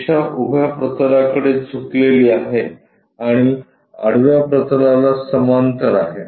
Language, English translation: Marathi, Line supposed to be inclined to vertical plane and parallel to horizontal plane